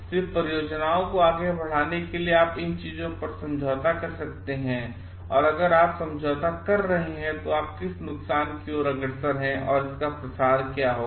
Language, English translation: Hindi, Just for the sake of moving the projects ahead can you compromise on these things and what is the if you are compromising, what is the extent of harm that you are looking forward to and what will be the spread of that